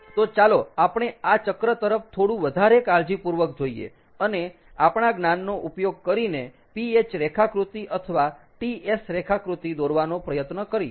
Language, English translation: Gujarati, so lets look at this cycle a little more carefully and, using our knowledge, try to draw a ph diagram or a ts diagram